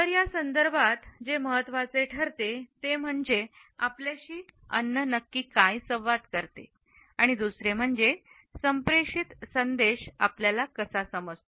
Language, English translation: Marathi, So, what becomes important in this context is what exactly does food communicate to us and secondly, how do we understand the communicated message